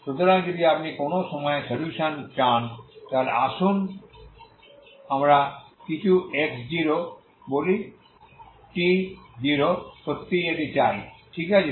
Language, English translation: Bengali, So if you want solution at some point let us say some x0, t 0 really want this one, okay